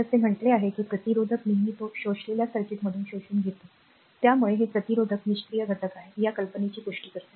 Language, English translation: Marathi, I told you thus a resistor always your absorbed power from the circuit it absorbed, right this confirms the idea that a resistor is passive element